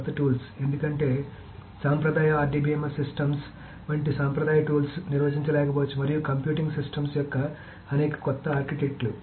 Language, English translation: Telugu, So, new tools, because the traditional tools such as the traditional RDBMS systems may not be able to hand it, and maybe new architectures of computing systems